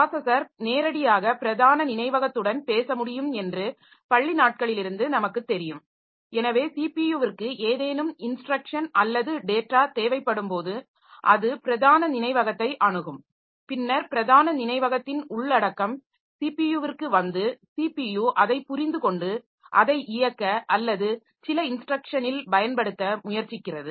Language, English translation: Tamil, So, as we know from our school days that processor can directly talk to the main memory and then main memory, so whenever CPU needs any instruction or data it accesses the main memory and then the content of the main memory comes to the CPU and CPU tries to understand it and execute it or use it in some instruction